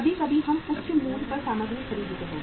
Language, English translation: Hindi, Sometime we purchase the material at a high price